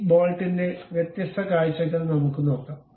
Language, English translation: Malayalam, Let us look at different views of this bolt